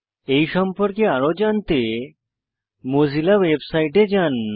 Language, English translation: Bengali, For more information about this, please visit the Mozilla website